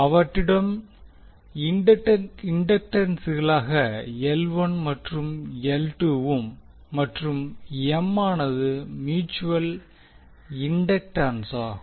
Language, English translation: Tamil, They have inductances as L 1 and L 2 and M is the mutual inductant